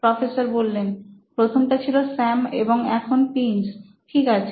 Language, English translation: Bengali, First one was Sam and now Prince, ok